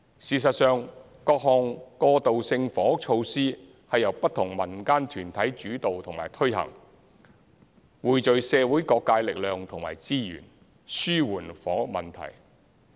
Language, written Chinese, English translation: Cantonese, 事實上，各項過渡性房屋措施是由不同民間團體主導和推行，匯聚社會各界力量和資源，紓緩房屋問題。, In fact various transitional housing measures are led and implemented by different NGOs . They seek to alleviate the housing problem with joint community efforts and resources